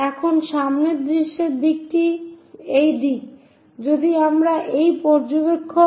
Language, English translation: Bengali, Now, the direction for front view is this direction